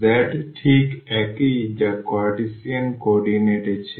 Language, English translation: Bengali, So, z is precisely the same which was in Cartesian coordinate